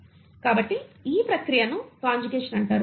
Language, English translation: Telugu, So this process is what you call as conjugation